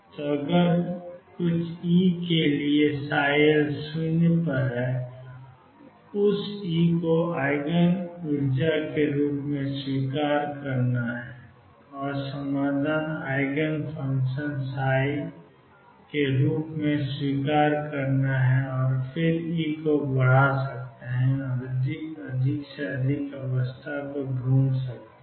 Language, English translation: Hindi, So, if psi L is equal to 0 for some E accept that E as the Eigen energy and the solution psi as Eigen function and then you can keep increasing E and find more and more and more states